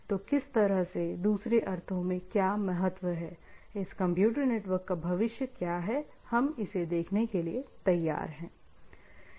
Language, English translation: Hindi, So what sorts the, what in other sense, what is the future of this computer network, we set to open up